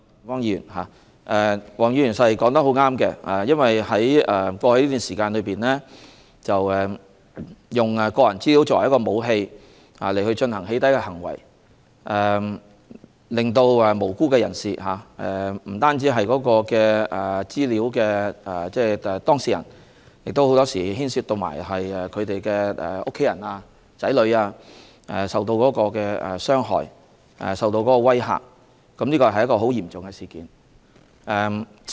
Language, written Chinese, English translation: Cantonese, 黃議員所說的十分正確，在過去這段時間，有人以個人資料作為一種武器，進行"起底"的行為，令無辜人士受害，因為不單是資料當事人受影響，很多時候還令他們的家人和子女同樣受到傷害和威嚇，這是很嚴重的事件。, Mr WONGs remarks are entirely correct . Over the past period some people have been using personal data as a kind of weapon for doxxing to inflict harm on innocent people . Such acts do not merely affect the data subjects for more often than not their family members and children will also be hurt and intimidated